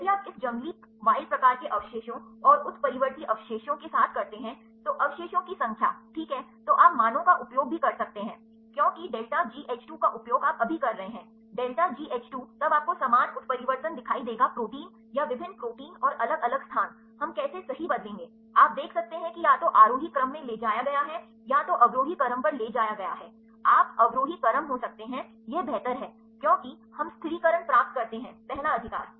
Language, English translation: Hindi, If you do with this wild type residue and the mutant residue and, the residue number ok, then you can also use the values because, delta G H 2 you are now using on so, delta G H 2, then you will see same mutation maybe same protein or different protein and different locations, how we will change right, you can see that either taken to the ascending order either taken to the descending order right, you may be descending order this is better because, we get the stabilizing ones the first right